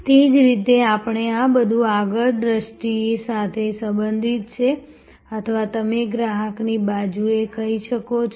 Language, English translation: Gujarati, In the same way, we can these are all relating to the front sight or you can say customer facing side